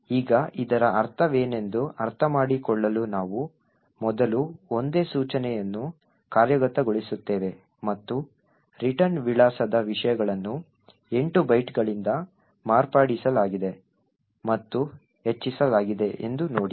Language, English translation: Kannada, Now to understand what this means we would first single step execute a single instruction and see that the contents of the return address has been modified and incremented by 8 bytes